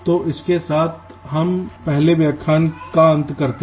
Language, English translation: Hindi, so with this we come to the end of this first lecture